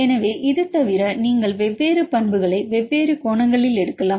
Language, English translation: Tamil, So, on the other hand you can take the different properties